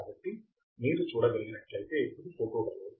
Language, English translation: Telugu, So, this is a photodiode as you can see